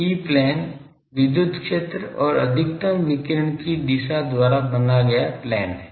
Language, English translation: Hindi, E plane is the plane made by the electric field and the direction of maximum radiation